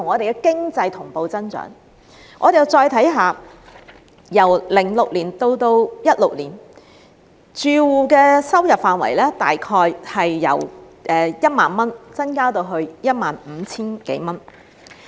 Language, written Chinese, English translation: Cantonese, 我們再看看，由2006年至2016年，住戶的收入範圍大約由 10,000 元增至 15,000 多元。, Please also take a look at the figures of 2006 and 2016 . During this period household income grew from 10,000 to over 15,000